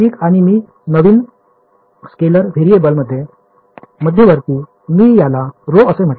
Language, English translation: Marathi, Right and I intermediate into a new scalar variable, I called it rho